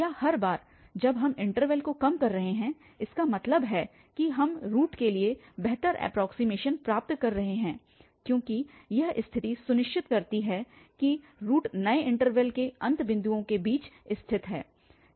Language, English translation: Hindi, Or every time we are narrowing down the interval that means we are getting better approximation for the root because this condition makes sure that the root lies between this end points of the new interval